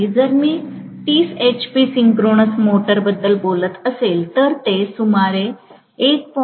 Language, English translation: Marathi, If I am talking about the 30 hp synchronous motor, it will be greater than about 1